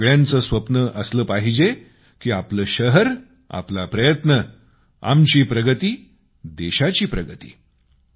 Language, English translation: Marathi, And all of you must have a dream 'Our city our efforts', 'Our progress country's progress'